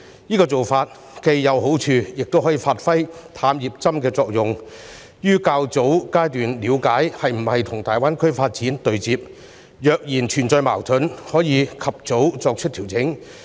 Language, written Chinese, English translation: Cantonese, 這做法既有好處，亦可以發揮"探熱針"的作用，於較早階段了解政策是否跟大灣區發展對接；若存在矛盾，可以及早作出調整。, This is a good approach as it can serve as a thermometer to understand at an early stage whether the policy concerned ties in with the development of GBA . If there are conflicts adjustments can be made promptly